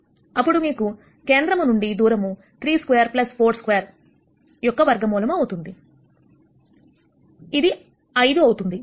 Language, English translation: Telugu, 34 then you can nd the distance from the origin is root of 3 squared plus 4 squared is going to be equal to 5